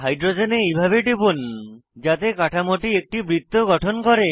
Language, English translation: Bengali, Click on the hydrogens in such a way that the structure forms a circle